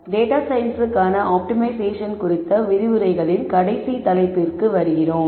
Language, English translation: Tamil, We come to the last topic in this series of lectures on optimization for data science